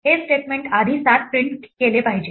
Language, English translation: Marathi, This statement should first print 7